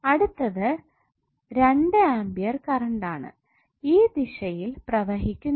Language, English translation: Malayalam, Next is 2A current which is flowing in this direction